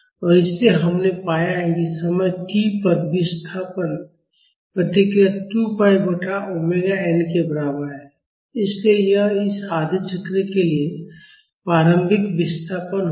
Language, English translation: Hindi, And so, there we have found the displacement response at time is equal to 2 pi by omega n, so that would be the initial displacement for this half cycle